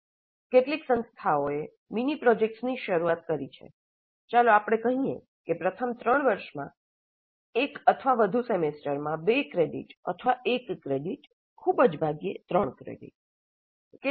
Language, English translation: Gujarati, Some institutes have started including mini projects of let us say two credits or one credit, very rarely three credits